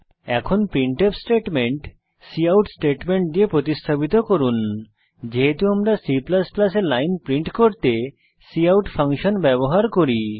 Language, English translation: Bengali, Now replace the printf statement with the cout statement, as we use cout function to print a line in C++